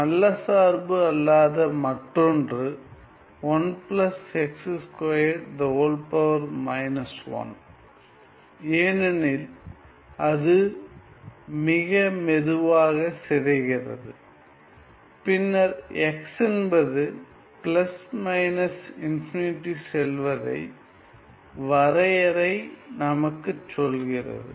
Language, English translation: Tamil, Another case of not good function is 1 plus x square to the power minus 1, why because it decays too slowly, then what the definition tells us as x goes to plus minus infinity ok